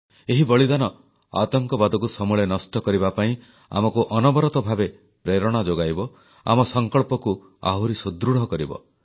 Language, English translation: Odia, This martyrdom will keep inspiring us relentlessly to uproot the very base of terrorism; it will fortify our resolve